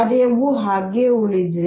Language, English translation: Kannada, the function has remain the same